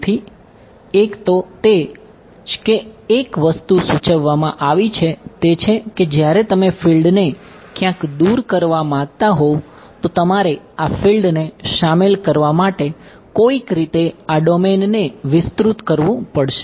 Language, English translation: Gujarati, So, one so, that is what one thing that has been suggested is that when if you want the field somewhere far away you somehow I have to expand this domain to include this fellow